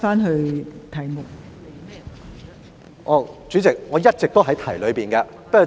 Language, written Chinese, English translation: Cantonese, 代理主席，我一直都在議題範圍內。, Deputy President I have all along been within the scope of the subject